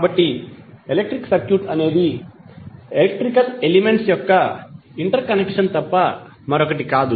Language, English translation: Telugu, So electric circuit is nothing but interconnection of electrical elements